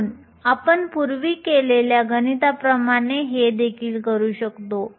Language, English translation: Marathi, So, we can do the same calculation that we did earlier